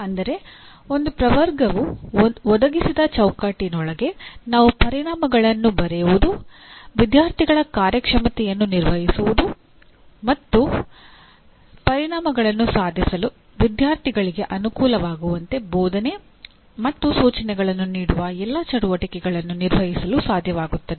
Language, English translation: Kannada, That means within the framework provided by one taxonomy we should be able to perform all the activities namely writing outcomes, assessing the student performance and teaching or instruction to facilitate the students to achieve the outcomes